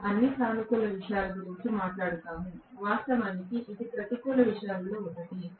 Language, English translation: Telugu, We talk about all positive things; of course, this is one of the negative things